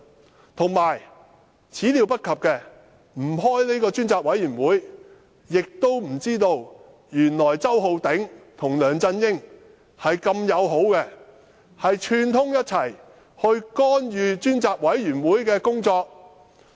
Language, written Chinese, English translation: Cantonese, 再者，我們沒料到若非召開專責委員會會議，也不會知道周浩鼎議員跟梁振英的友好關係，竟然串通干預專責委員會的工作。, Furthermore we did not expect to find out the friendly relationship between Mr Holden CHOW and LEUNG Chun - ying as well as their collusion to intervene in the work of the Select Committee had the Select Committee meeting not been convened